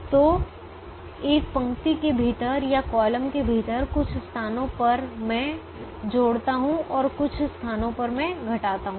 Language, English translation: Hindi, so within a row or within a column, in some places i am adding and some places i am subtracting